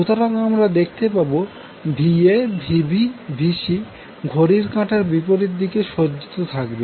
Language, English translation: Bengali, So, Va Vb Vc you will see will be arranged in such a way that it is counterclockwise